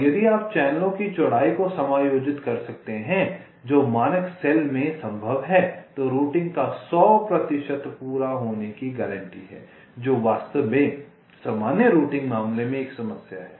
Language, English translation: Hindi, and if you can adjust the width of the channels, which in standard cell is possible, then hundred percent completion of routing is guaranteed, which is indeed a problem in general routing case, say